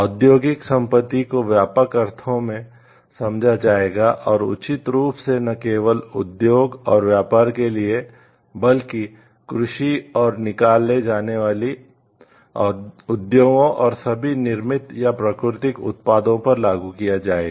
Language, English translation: Hindi, Industrial property shall be understood in the broader sense and shall apply not only to industry and commerce proper, but likewise to agriculture and extractive industries and to all manufactured or natural products